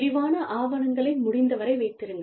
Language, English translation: Tamil, Keep detailed documentation, as far as possible